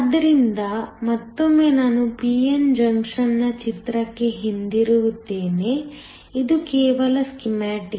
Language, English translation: Kannada, So, once again I will go back to my picture of the p n junction, just a schematic